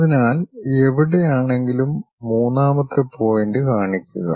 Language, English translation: Malayalam, So, somewhere locate third point